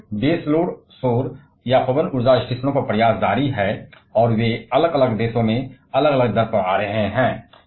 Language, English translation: Hindi, Of course, effort is on to have base load solar or wind power stations and they are coming, coming up in a different countries at different rate